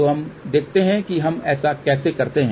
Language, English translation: Hindi, So, let us see how do we do that